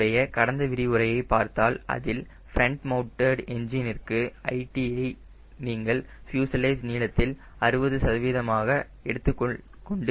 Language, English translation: Tamil, my last lecture says for front mounted engine, l, lt you can take as sixty percent of fuselage length